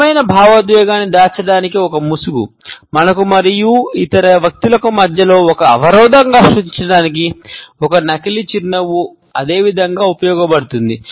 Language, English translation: Telugu, A fake smile similarly is used to create a mask, a barrier between us and other people to hide the true emotion